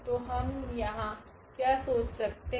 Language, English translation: Hindi, So, what we can think here